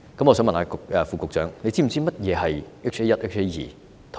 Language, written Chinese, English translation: Cantonese, 我想問局長是否知悉，何謂 HA1 和 HA2？, I would like to ask if the Secretary knows what HA1 and HA2 refer to